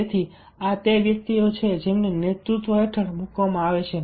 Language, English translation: Gujarati, so these are the persons who are put under, ah, the who are leadership